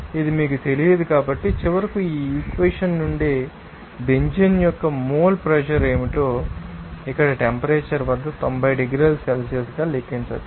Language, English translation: Telugu, It is not known to you so, finally, from this equation can calculate what is up the mole pressure of the Benzene in the liquid at that particular you know temperature here as a 90 degree Celsius